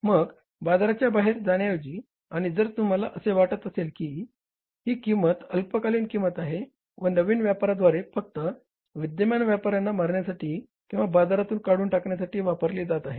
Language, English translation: Marathi, So rather than going out of the market and if you feel that this pricing is a short lived pricing, it's only a gimmick used by the new player to kill the existing players from or to shunt the existing players out of the market